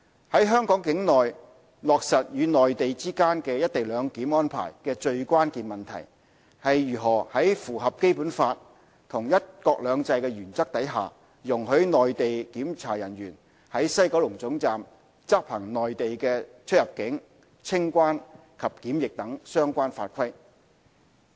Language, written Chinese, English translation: Cantonese, 在香港境內落實與內地之間"一地兩檢"安排的最關鍵問題，是如何在符合《基本法》和"一國兩制"的原則下，容許內地檢查人員在西九龍總站執行內地的出入境、清關及檢疫等相關法規。, The most crucial issue in relation to the implementation of co - location of CIQ facilities of Hong Kong and the Mainland is how Mainland officials are to be allowed to implement Mainland CIQ - related rules at the WKT in compliance with the Basic Law and the principle of one country two systems